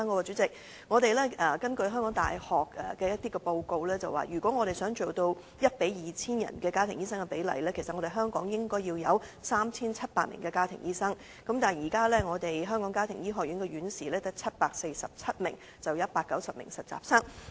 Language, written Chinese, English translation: Cantonese, 主席，根據香港大學的報告，如果家庭醫生與香港市民的比例要做到 1：2000， 其實香港應有 3,700 名的家庭醫生，但現時香港家庭醫學學院只有747名院士及190名實習生。, President according to a University of Hong Kong report the city will need to have 3 700 family doctors in order to attain a doctor - to - patient ratio of 1 to 2 000 . However the Hong Kong College of Family Physicians now only has 747 fellows and 190 interns